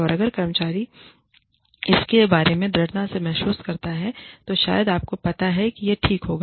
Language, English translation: Hindi, And, if the employee feels strongly about it, maybe, you know, it would be okay